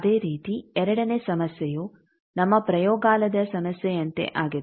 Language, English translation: Kannada, Similarly, the second problem is like our laboratory problem